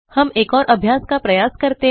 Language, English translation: Hindi, Let us try one more exercise